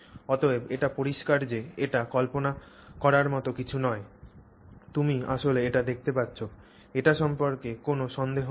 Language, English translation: Bengali, So, so it is clear that this is not something imagined, you can actually see it, there is no doubt about it, okay